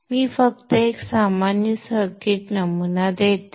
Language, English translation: Marathi, So let me just give one typical sample circuit